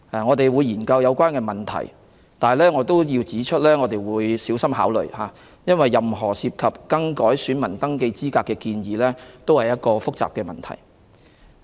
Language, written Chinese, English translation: Cantonese, 我們會研究有關問題，但我亦要指出，我們會小心考慮，因為任何改變選民登記資格的建議都涉及複雜的問題。, We will look into the relevant issues but I would also like to point out that careful consideration will be given because any proposal to change the eligibility criteria of voter registration involves complex issues